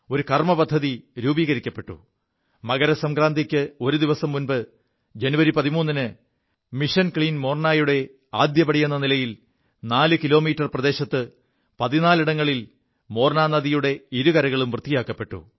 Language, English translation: Malayalam, An action plan was chalked out and on January 13 th a day before MakarSankranti, in the first phase of Mission Clean Morna sanitation of the two sides of the bank of the Morna river at fourteen places spread over an area of four kilometers, was carried out